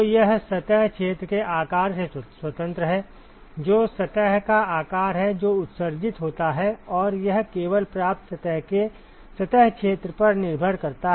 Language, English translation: Hindi, So, it is independent of the size of the surface area, which is size of the surface, which is emitting and it depends only on the surface area of the receiving surface